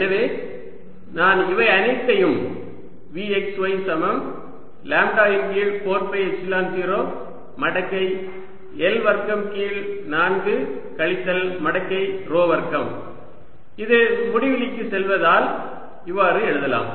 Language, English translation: Tamil, so i can write all that as v, x, y, z equals lambda over four, pi, epsilon zero log, l square by four minus log rho square, as i will tells, to infinity